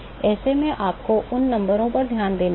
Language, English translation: Hindi, So, you have to pay attention to these numbers